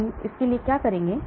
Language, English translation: Hindi, So what do we do